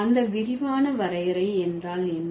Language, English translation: Tamil, And what is that comprehensive definition